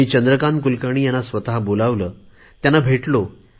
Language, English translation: Marathi, While thinking of Chandrkant Kulkarni, let us also follow him